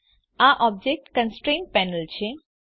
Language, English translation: Gujarati, This is the Object Constraints Panel